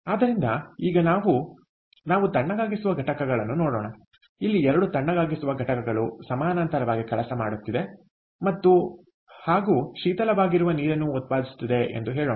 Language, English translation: Kannada, we have a chiller unit, two, two chiller units, lets say, working in parallel and which is, ah, producing chilled water